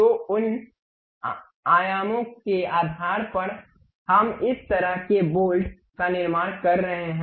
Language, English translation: Hindi, So, based on those dimensions we are constructing this kind of bolt